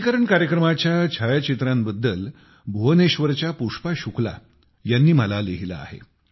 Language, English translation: Marathi, Pushpa Shukla ji from Bhubaneshwar has written to me about photographs of the vaccination programme